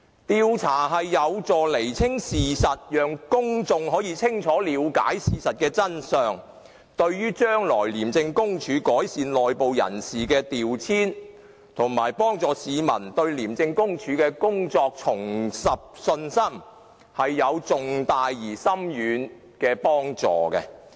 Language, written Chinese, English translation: Cantonese, 調查有助釐清事實，讓公眾清楚了解事實的真相，對於將來廉署改善內部人士的調遷，以及讓市民重拾對廉署的信心，都是有重大而深遠的幫助。, An investigation can help us ascertain the facts and enable the public to know the truth of the matter . It will also have significant and far - reaching effect on the future improvement of the internal personnel deployment in ICAC and the restoration of public confidence in it